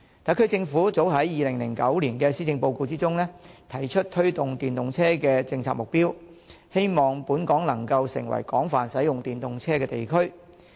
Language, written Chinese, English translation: Cantonese, 特區政府早於2009年度的施政報告中，已提出推動電動車的政策目標，希望本港能夠成為廣泛使用電動車的地區。, The SAR Government proposed in its 2009 Policy Address the strategy of promoting the use of EVs in the hope that Hong Kong will become a place where EVs are widely used